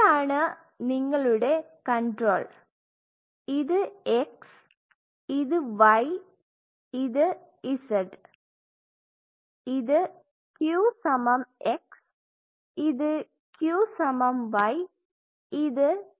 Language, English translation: Malayalam, So, this is your control this is x this is y this is z this is q, this is Q plus x, this is Q plus y, this is Q plus z